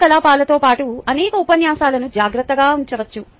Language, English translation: Telugu, many lectures can be carefully placed along with the activities